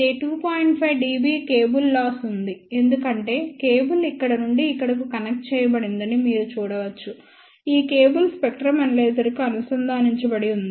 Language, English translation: Telugu, 5 dB cable lose as you can see that cable is connected from here to here and then, this cable is connected to the spectrum analyzer